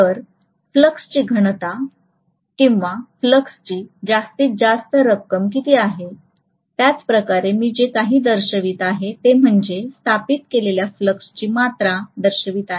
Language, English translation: Marathi, So what is the maximum amount of flux density or flux that has been established, the same way the inductance whatever I am showing, that is showing the amount of flux established